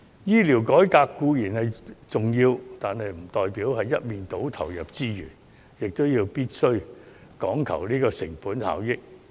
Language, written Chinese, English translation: Cantonese, 醫療改革固然重要，但不代表我們要一面倒投入資源，不講求成本效益。, Healthcare reform is surely important but it does not mean that we have to lopsidedly put in resources without giving regard to cost - effectiveness